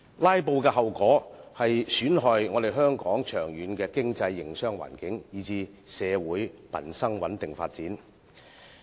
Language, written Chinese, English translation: Cantonese, "拉布"的後果損害香港長遠的經濟和營商環境，以至社會民生的穩定發展。, The consequences of filibuster damage the long - term economic and business environment and even the stable development of society and livelihood of Hong Kong